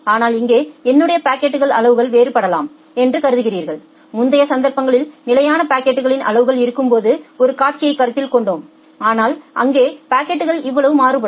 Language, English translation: Tamil, But here you consider that well the packet sizes may vary; in the earlier cases we have considered a scenario when there are fixed packet sizes, but here the packet size can vary